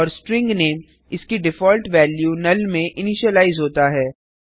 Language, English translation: Hindi, And the String name has been initialized to its default value null